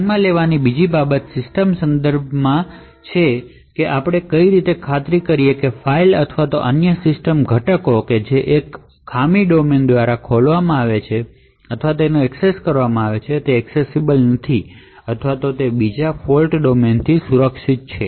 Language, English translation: Gujarati, to the system resources how would we ensure that files or other system components which are opened or accessed by one fault domain is not accessed or is protected from another fault domain